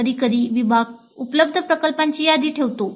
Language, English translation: Marathi, Sometimes the department puts up a list of the projects available